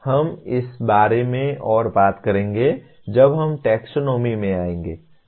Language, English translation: Hindi, We will talk about this more when we come to the taxonomy